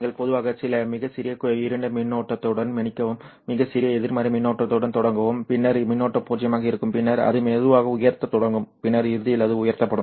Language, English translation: Tamil, So you start typically with some very small dark current, sorry, very small negative current, and then the current will be zero and then it will start slowly to rise and then eventually it will rise off